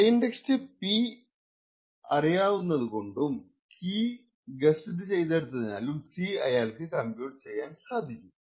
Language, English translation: Malayalam, Since he knows the plane text P and he has guessed C, he can also compute the corresponding C value